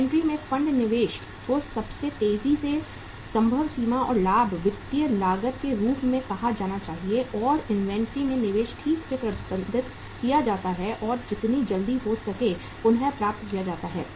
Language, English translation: Hindi, Funds investment in the inventory should be recovered at the uh say fastest fastest possible extent and profitability, financial cost, and investment in the inventory is properly managed and recovered as early as possible